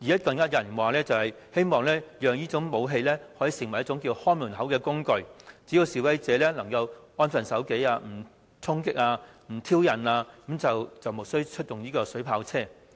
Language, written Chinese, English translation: Cantonese, 更有人說希望讓這種武器當作一種"看門口"的工具，只要示威者能安分守紀，不衝擊、不挑釁警方，便無須出動水炮車。, So long as the demonstrators abide by the law do not engage in violent storming and provocation of the Police the use of water cannon vehicles will not be required